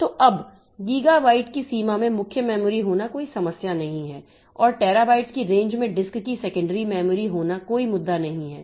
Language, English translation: Hindi, So, now we having main memory in the range of gigabyte is not an issue and having secondary memory of the disk in the range of terabytes is not an issue